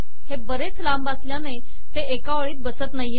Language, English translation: Marathi, Its a long equation so it doesnt fit into one line